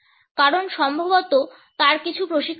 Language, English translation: Bengali, Perhaps because he is has some training